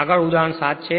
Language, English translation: Gujarati, So, next is example 5